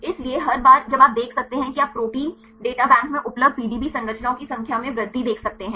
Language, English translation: Hindi, So, every time you can see you can see increase in the growth of the number of PDB structures available in the Protein Data Bank